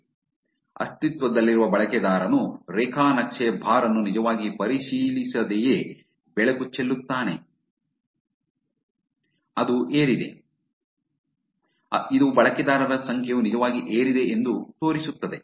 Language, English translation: Kannada, So, the existing user which is the light without the check that the graph the bar is actually, which is risen which is showing you that the number of users are actually risen